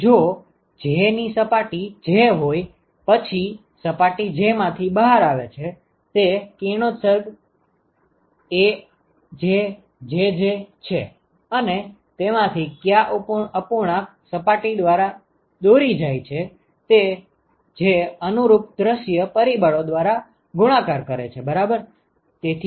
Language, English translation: Gujarati, So, if this is my surface j then the radiation that comes out of surface j is AjJj and what fraction of that is lead by surface i that multiplied by the corresponding view factor ok